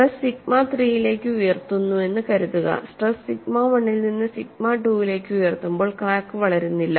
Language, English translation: Malayalam, Suppose the stress is raised to sigma 3, when stress is raised from sigma 1 to sigma 2 crack would not a propagated, but after reaching sigma 2, crack is ready to propagate